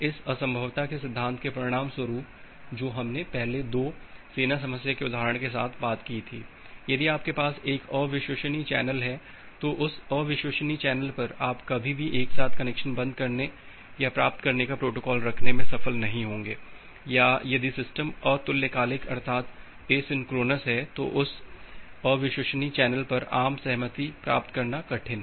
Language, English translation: Hindi, Because of a result of this impossibility principle that we talked earlier with the example of these 2 army problem that, if you have a unreliable channel then over that unreliable channel you will be never be succeed to have a protocol of simultaneously closing the connection or getting a consensus over this unreliable channel if the system is asynchronous